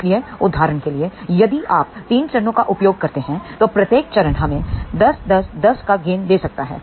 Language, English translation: Hindi, So, for example, if you use 3 stages, then each stage can give us a gain of 10, 10, 10